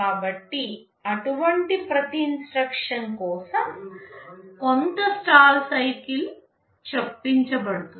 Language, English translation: Telugu, So, for every such instruction there will be some stall cycle inserted